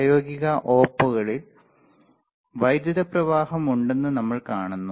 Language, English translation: Malayalam, In practical op amps we see that there is some flow of current